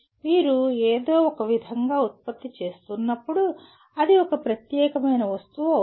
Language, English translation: Telugu, When you are producing somehow it becomes a unique piece